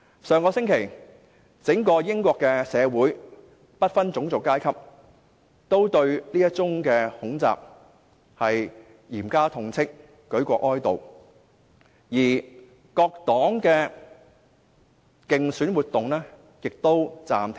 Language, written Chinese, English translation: Cantonese, 上星期，整個英國社會，不分種族階級均對這宗恐襲嚴加痛斥，舉國哀悼，各黨的競選活動也告暫停。, Last week members of the entire British community regardless of race and social class did harshly condemn the terror attack . A period of national mourning was declared and all election campaigns would be suspended during the mourning period